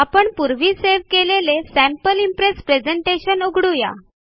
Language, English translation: Marathi, Lets open our presentation Sample Impress which we had saved earlier